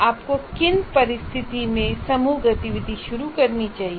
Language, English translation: Hindi, Under what condition should you introduce group activity